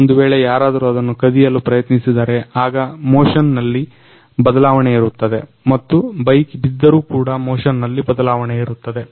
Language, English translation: Kannada, Suppose someone else try to steal the bike, then there will be some change in motion and also if the bike has fallen away, then also there will be some change in motion